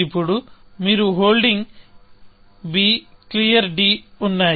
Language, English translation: Telugu, Now, you are holding b and clear d